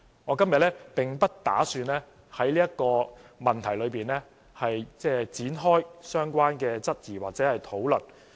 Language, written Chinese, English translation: Cantonese, 我今天並不打算在這個問題裏展開相關的質疑或討論。, Today I do not intend to query about or deliberate on this issue